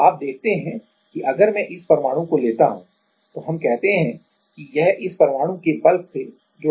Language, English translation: Hindi, So, you see there if I take this atom let us say then this is connected this is connected to this atom through in the bulk ok